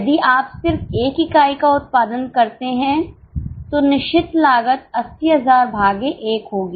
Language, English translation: Hindi, If you just produce one unit, the fixed cost will be 80,000 upon 1